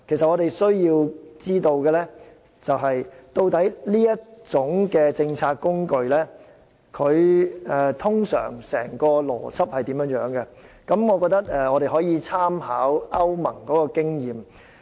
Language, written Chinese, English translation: Cantonese, 我們需要知道，這項政策工具的整體運作邏輯，我們可以參考歐盟的經驗。, We need to understand the operational logic of this policy tool as a whole . We can draw reference from the experience of the European Union